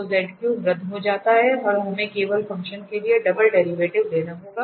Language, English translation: Hindi, So, the z cube gets cancel and we have to take the double derivative simply for the functions